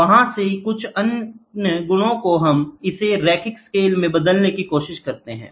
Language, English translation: Hindi, Some other property from there we try to convert it into linear scales